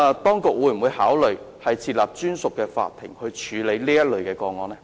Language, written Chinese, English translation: Cantonese, 當局會否考慮設立專屬法庭處理此類個案？, Will the authorities consider setting up a designated court to handle such kind of cases?